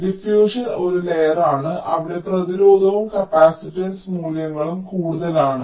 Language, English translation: Malayalam, so diffusion is one layer where both the resistance and the capacitance values are higher